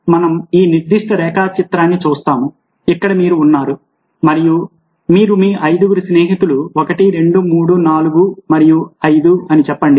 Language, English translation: Telugu, now let's say that we look at this particular diagram where this is you and these are your, let say, five friends: one, two, three, four and five